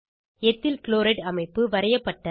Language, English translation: Tamil, Structure of Ethyl chloride is drawn